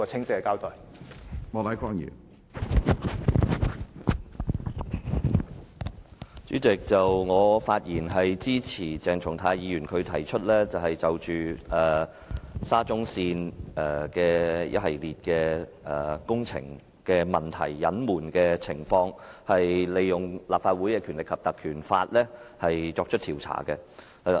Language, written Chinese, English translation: Cantonese, 主席，我發言支持鄭松泰議員提出的議案，議案建議就沙田至中環線一系列工程問題的隱瞞情況，引用《立法會條例》作出調查。, President I speak in support of the motion moved by Dr CHENG Chung - tai to invoke the Legislative Council Ordinance to inquire into the concealment of a series of problems with the works of the Shatin to Central Link SCL